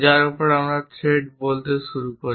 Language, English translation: Bengali, On which we start saying the threads